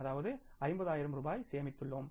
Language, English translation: Tamil, 5 lakhs it means we have saved 50,000 rupees